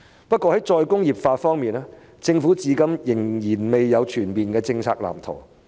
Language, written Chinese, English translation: Cantonese, 不過，在再工業化方面，政府至今仍未有全面的政策藍圖。, In terms of re - industrialization however the Government has yet to devised a comprehensive policy blueprint